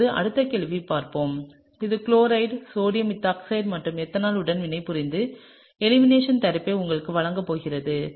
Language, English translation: Tamil, Now, let’s look at the next question which is over here which is this chloride which is going to react with the sodium ethoxide and ethanol and give you most likely an eliminated product